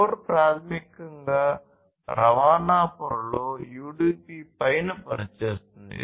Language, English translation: Telugu, So, core basically works on top of UDP in the transport layer